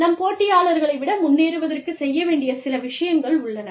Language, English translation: Tamil, Some things, that we do, in order to, stay ahead of our competitors